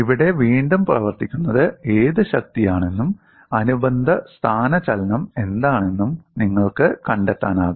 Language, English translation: Malayalam, Here, again you can find out what is the force which is acting and what is the corresponding displacement